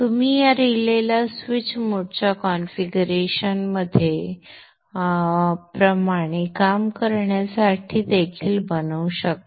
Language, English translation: Marathi, You could also make this relay to work like a switch in a switch to mode type of configuration